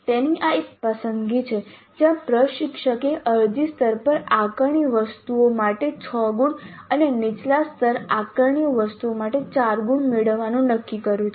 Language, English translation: Gujarati, So this is one choice where the instructor has decided to have six marks for assessment items at apply level and four marks for assessment items at lower levels